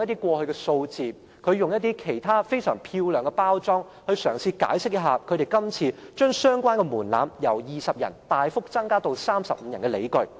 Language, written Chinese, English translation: Cantonese, 他引用一些過去的數字，以非常漂亮的手法包裝，嘗試解釋為他們今次將相關門檻由20人大幅增加至35人的理據。, He has cited some figures of the past and presented them in an extremely satisfactory manner trying to make them the justification for raising the threshold significantly from 20 Members to 35 Members